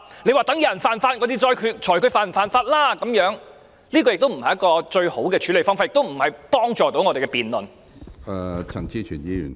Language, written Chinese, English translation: Cantonese, 你說待有人犯法才裁決他是否犯法，這不是一種最好的處理方法，亦無助我們的辯論。, When people ask whether a particular act is a violation of the law you say that someone must have broken the law before a judgment will be made . This is not the best approach nor is it helpful to our debate